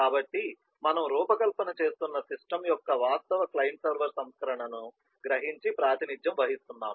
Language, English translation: Telugu, so we are going closer to realizing and representing the actual client server version of the system that we are designing